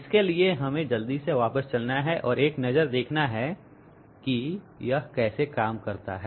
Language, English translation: Hindi, For this, let us quickly go back and have a look how it works